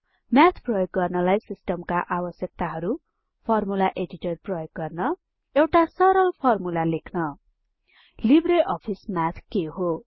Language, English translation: Nepali, System requirements for using Math Using the Formula Editor Writing a simple formula What is LibreOffice Math